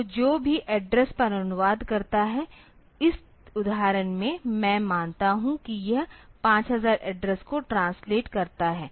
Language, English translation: Hindi, So, whatever addresses translates to, in this example I assume that it translates to address 5000